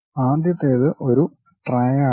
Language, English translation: Malayalam, The first one triad